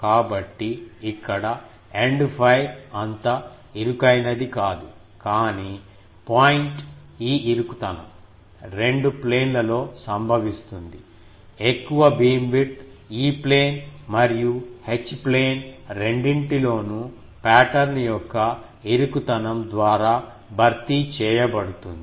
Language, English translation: Telugu, So, here the End fire it is not as narrow, but the point is this narrowing occurs in two planes; the grater beamwidth compensated by an narrowing of the pattern in both E plane and H plane